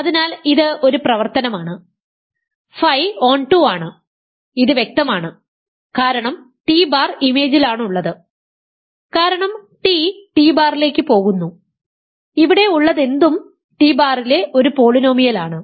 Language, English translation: Malayalam, So, this an exercise, phi is onto, this is clear because t bar is in image because t goes to t bar anything here is a polynomial in t bar